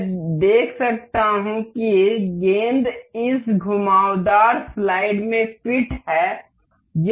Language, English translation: Hindi, I can see the ball is fit into this curved slide